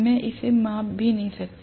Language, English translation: Hindi, I cannot even measure it